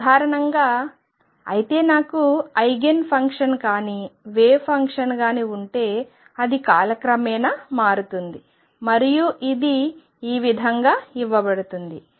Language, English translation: Telugu, In general; however, if I have a wave function which is not an Eigen function, it is going to change with time and this is how it is going to be given